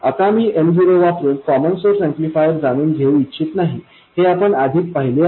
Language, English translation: Marathi, Now, I don't want to realize the common source amplifier using M0